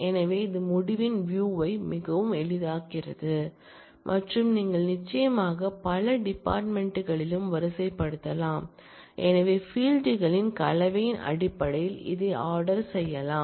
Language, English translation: Tamil, So, that makes the presentation of the result of and very easy and you can certainly sort on multiple fields as well, so it can be ordered based on combination of fields